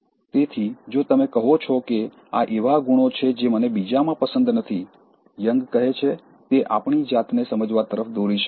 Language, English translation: Gujarati, ” So, if you say but, these are qualities that I don’t like in others, what Jung says is that, those things can lead us to an understanding of ourselves